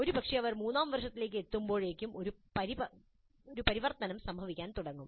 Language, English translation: Malayalam, Probably by the time they come to third year, a transition begins to take place